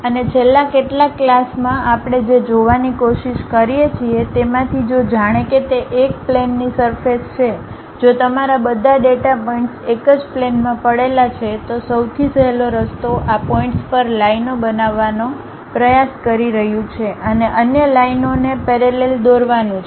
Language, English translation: Gujarati, And, one of the thing what we try to look at in the last classes was if it is a plane surface if all your data points lying on one single plane, the easiest way is trying to construct lines across these points and drawing other lines parallelly to that